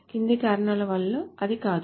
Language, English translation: Telugu, It is not because of the following reasons